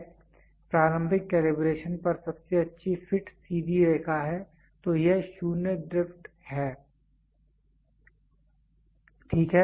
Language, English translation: Hindi, This is the best fit straight line at initial calibration, than this is the 0 drift, ok